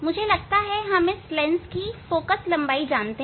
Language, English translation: Hindi, I must keep this lens position greater than focal length